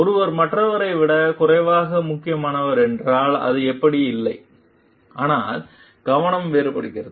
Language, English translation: Tamil, It is not like that, if someone is lesser important than the other, but the focus is different